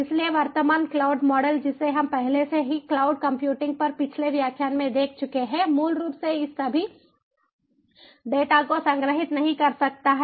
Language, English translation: Hindi, so the current cloud model that we have already gone through in the previous lectures on cloud computing cannot basically store all these data